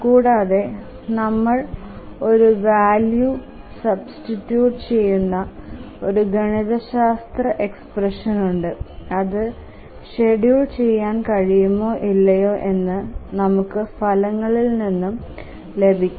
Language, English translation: Malayalam, Can we have a mathematical expression where we substitute values and then we get the result whether it is schedulable or not